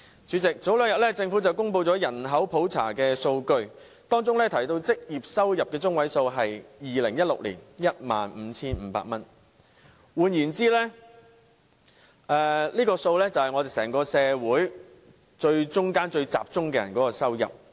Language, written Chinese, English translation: Cantonese, 主席，政府早前公布了人口普查數據，當中提到2016年的職業收入中位數為 15,500 元。換言之，這個數字反映了中層人士的收入。, President according to the statistical data on population census published by the Government earlier on the median monthly employment earnings in 2016 stood at 15,500 which being in others words the income level of those in the middle stratum